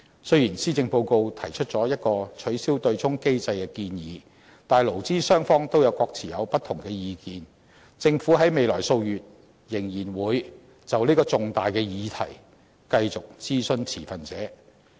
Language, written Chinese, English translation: Cantonese, 雖然施政報告提出了一個取消對沖機制的建議，但勞資雙方都各有不同意見，政府在未來數月仍然會就這個重大的議題繼續諮詢持份者。, Despite the proposal in the Policy Address to abolish the offsetting mechanism employers and employees hold different opinions over the issue . The Government will keep on consulting the stakeholders in the following months over this important topic